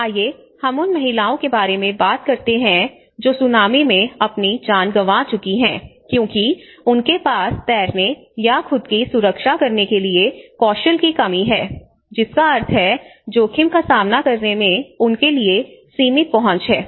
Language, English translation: Hindi, Let us say for women who have lost their lives in the tsunami many of them were woman because they are lack of certain skills even swimming or protecting themselves so which means there is a skill or there is a limited access for them in facing the risk, facing that particular shock